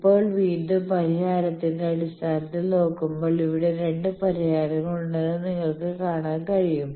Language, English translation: Malayalam, Now, again solution wise you can see there are 2 solutions